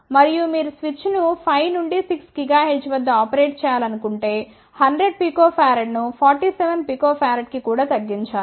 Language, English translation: Telugu, And if you want to operate the switch at around 5 to 6 gigahertz then 100 pico farad should be reduced to maybe even 47 picofarad